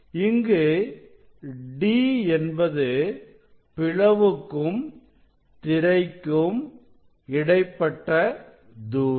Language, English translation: Tamil, here also this D is the distance between the slit and the screen or photocell